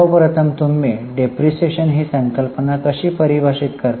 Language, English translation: Marathi, First of all, how do you define depreciation